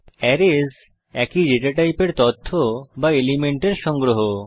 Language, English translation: Bengali, Array is the collection of data or elements of same data type